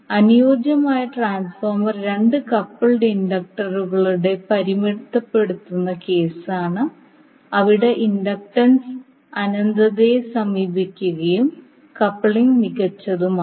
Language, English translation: Malayalam, That ideal transformer is the limiting case of two coupled inductors where the inductance is approach infinity and the coupling is perfect